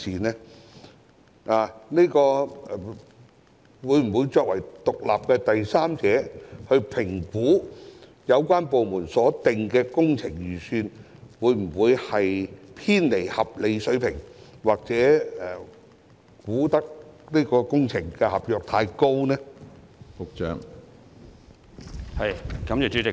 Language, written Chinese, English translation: Cantonese, 項目辦會否作為獨立的第三者，評估有關部門所定的工程預算會否偏離合理水平，或就工程合約價格作出過高估算？, Will assessments be conducted by PSGO as an independent third party on project estimates made by relevant departments to see if the estimates have deviated from the reasonable levels or if there is any overestimation of the prices for works contracts?